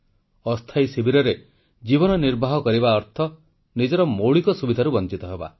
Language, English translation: Odia, Life in camps meant that they were deprived of all basic amenities